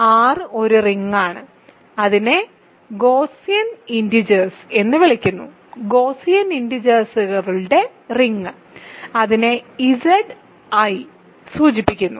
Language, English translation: Malayalam, So, R is a ring and remember it is called the “Gaussian integers”; ring of Gaussian integers and it is denoted by Z[i]